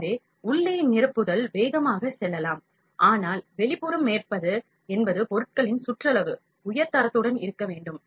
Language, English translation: Tamil, So, inside filling can go fast, but outside surface that is the periphery of the jobs is to be of high quality